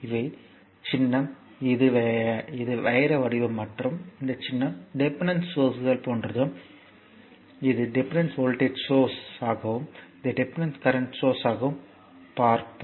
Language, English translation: Tamil, So, symbol is this is diamond shape and this symbol is your like this that is the dependent sources these dependent voltage source and this is dependent current source